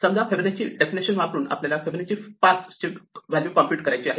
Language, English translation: Marathi, So, supposing we want to compute Fibonacci of 5 using this definition